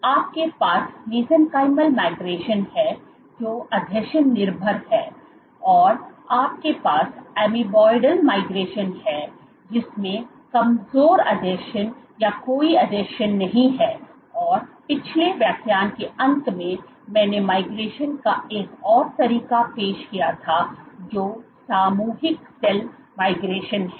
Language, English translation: Hindi, So, you have mesenchymal migration or adhesion dependent, you have amoeboid migration which requires weak adhesions or no adhesions and towards the end of last lecture I had introduced another mode of migration which is collective cell migration